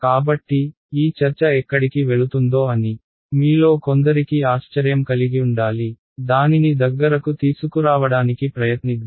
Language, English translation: Telugu, So, some of you must be wondering where is this discussion going so, let us try to bring it closer